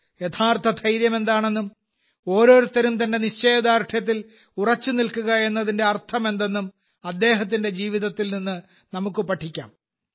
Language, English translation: Malayalam, We can learn from his life what true courage is and what it means to stand firm on one's resolve